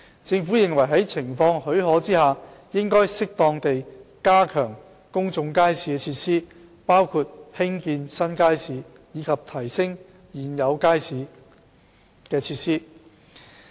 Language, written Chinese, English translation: Cantonese, 政府認為在情況許可下，應適當地加強公眾街市設施，包括興建新街市及提升現有街市的設施。, The Government considers that if the situation allows public market facilities should be reinforced appropriately and this includes the building of new public markets and enhancement of existing market facilities